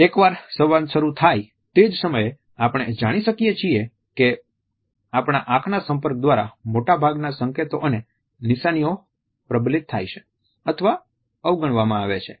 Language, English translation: Gujarati, At the same time once the dialogue begins, we find that most on these cues and signals are either reinforced or negated by our eye contact